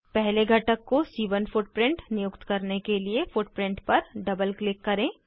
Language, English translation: Hindi, To assign C1 footprint to first component, double click on the footprint